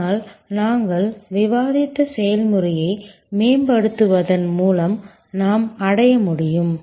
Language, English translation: Tamil, But, by optimizing the process that we discussed we can achieve